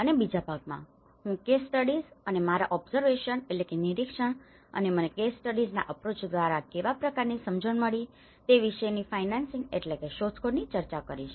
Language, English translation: Gujarati, And in the second part, I will be actually discussing about the case studies and my observations and findings about what kind of understanding I got it through the case study approach